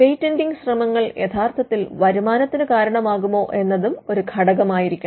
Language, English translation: Malayalam, It should also be factored whether the patenting efforts could actually result in revenue